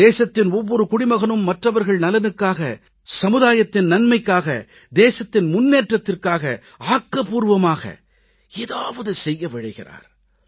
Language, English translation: Tamil, Every citizen of the country wants to do something for the benefit of others, for social good, for the country's progress